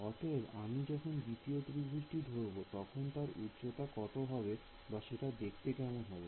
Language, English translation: Bengali, So, when I consider the second triangle what will be the height of I mean what will it look like